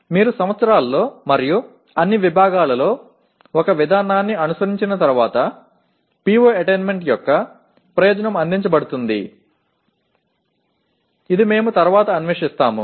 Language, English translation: Telugu, But once you follow one process over years and across all departments, the purpose of computing PO attainment will be served which we will explore later